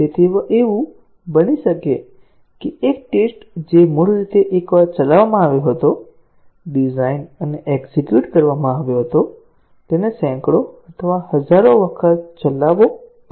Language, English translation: Gujarati, So, it may so happen that, a test case which was originally executed once, designed and executed, may have to be executed hundreds or thousands of times